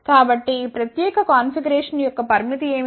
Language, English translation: Telugu, So, what is the limitation of this particular configuration